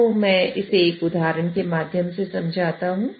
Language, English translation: Hindi, So let me explain you this through an example